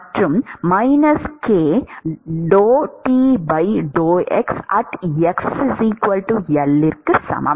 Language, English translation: Tamil, That is x equal to plus L